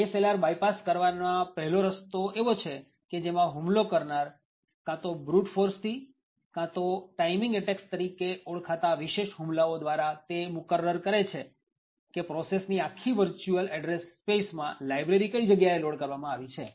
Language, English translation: Gujarati, One way of bypassing ASLR is if the attacker determines either by brute force or by special attacks known as timing attacks, where the attacker finds out where in the entire virtual address space of the process is the library actually loaded